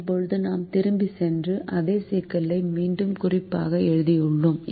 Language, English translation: Tamil, now we go back and say that we i have done the same problem again for reference